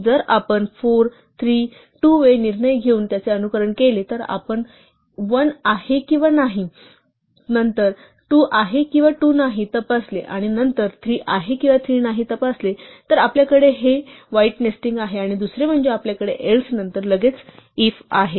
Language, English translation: Marathi, If we simulate it by taking 4, 3, 2 way decisions, we check 1 or not 1, then we check 2 or not 2, and then we check 3 or not 3 then we have this ugly nesting and secondly, we have this else followed immediately by an if